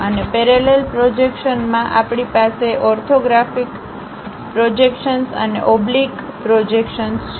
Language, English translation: Gujarati, And in parallel projections, we have orthographic projections and oblique projections